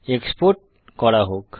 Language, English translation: Bengali, .Let us export